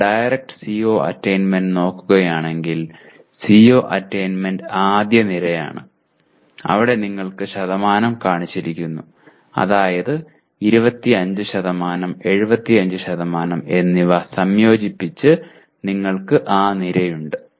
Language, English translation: Malayalam, If you look at direct CO attainment, CO attainment is the first column where you have percentages are shown that is 25%, 75% are combined and you have that column